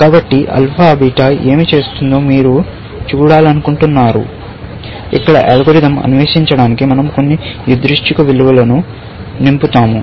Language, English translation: Telugu, you want to see what alpha beta does; we will fill in some random values, just to explore the algorithm here